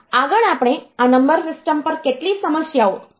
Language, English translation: Gujarati, Next, we will try to solve a few problems on this number system